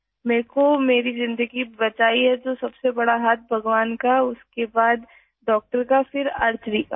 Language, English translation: Urdu, If my life has been saved then the biggest role is of God, then doctor, then Archery